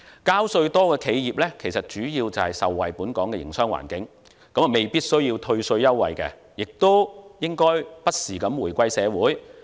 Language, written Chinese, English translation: Cantonese, 交稅多的企業其實主要受惠於本港的營商環境，未必需要退稅優惠，並應不時回饋社會。, In fact enterprises paying more tax may not need tax concessions as they have benefited mainly from the business environment of Hong Kong . They should give back to society from time to time